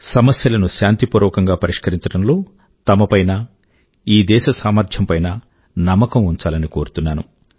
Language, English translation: Telugu, They should have faith in their own capabilities and the capabilities of this country to resolve issues peacefully